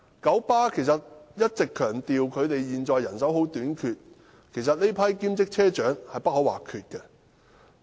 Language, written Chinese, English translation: Cantonese, 九巴一直強調現時人手短缺，其實這群車長是不可或缺的。, KBM has all along emphasized the existing manpower shortage . This group of bus captains are actually indispensable